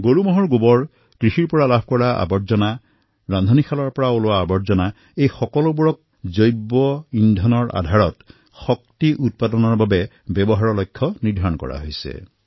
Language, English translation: Assamese, A target has been set to use cattle dung, agricultural waste, kitchen waste to produce Bio gas based energy